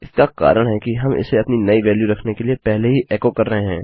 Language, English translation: Hindi, The reason is that were echoing this out before we put our new value in